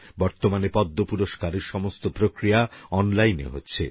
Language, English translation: Bengali, The entire process of the Padma Awards is now completed online